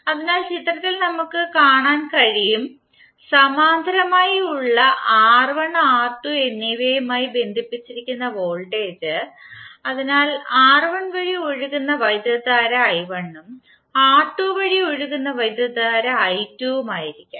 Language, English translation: Malayalam, So let us take now this figure where voltage is connected to R1 and R2 both which are in parallel, so current flowing through R1 would be i1 and current flowing through R2 would be i2